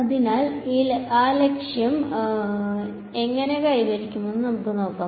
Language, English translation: Malayalam, So, we will see how that objective is achieved over here